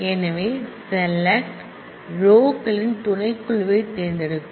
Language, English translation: Tamil, So, select chooses a subset of the rows